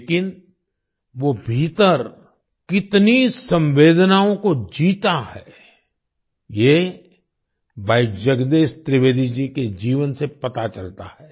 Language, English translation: Hindi, But how many emotions he lives within, this can be seen from the life of Bhai Jagdish Trivedi ji